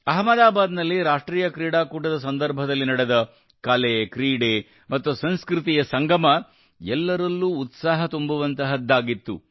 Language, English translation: Kannada, The way art, sports and culture came together during the National Games in Ahmedabad, it filled all with joy